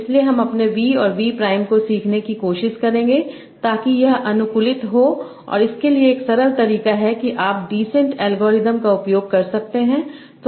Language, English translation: Hindi, So I will try to learn my v vM b prime such that this is optimized and for that there is a simple way that is you can use gradient descent algorithm